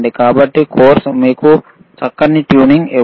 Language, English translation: Telugu, So, course cannot give you this fine tuning